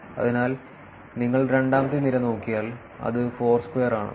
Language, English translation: Malayalam, So, if you look at the second column, which is Foursquare